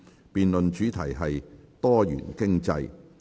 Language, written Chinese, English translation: Cantonese, 辯論主題是"多元經濟"。, The debate theme is Diversified Economy